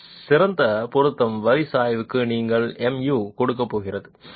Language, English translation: Tamil, The slope of this best fit line is going to give you mu